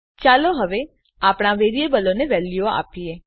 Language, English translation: Gujarati, Now lets give values to our variables